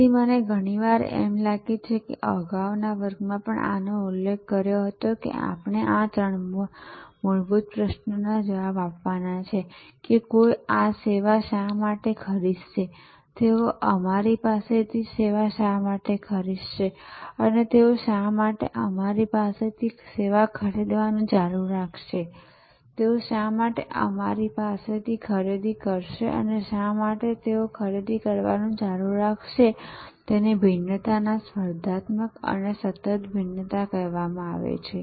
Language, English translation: Gujarati, So, I often I think I mentioned this in the previous class also, that we have to answer these three fundamental questions, that why will anybody buy this service, why will they buy from us and why will they continue to buy from us, this why will they buy from us and why will they continue to buy from us is what is called the differentiation competitive differentiation and continuing differentiations